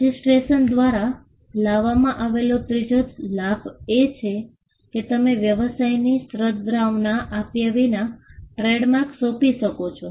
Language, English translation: Gujarati, The third benefit that registration brought about was the fact that, you could assign trademarks without giving away the goodwill of the business